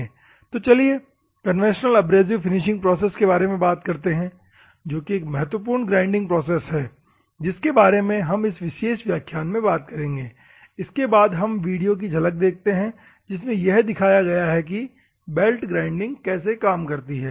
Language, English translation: Hindi, Moving on to the conventional abrasive finishing process which is the main process is grinding process which we are going to see in this particular class, then we also see about a glimpse of the video that is how the belt grinding works